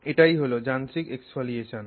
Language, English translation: Bengali, So, that if you do is mechanical exfoliation